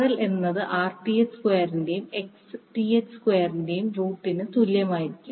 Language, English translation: Malayalam, RL would be equal to under root of Rth square plus Xth square